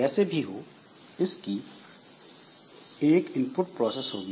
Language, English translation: Hindi, So, whatever it is, so there is an input process